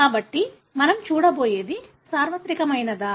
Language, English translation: Telugu, So, what we are going to see is that is it universal